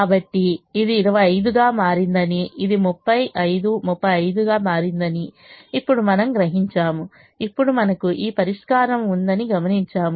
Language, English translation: Telugu, so now we realize that this has become twenty five, this has become thirty five, thirty five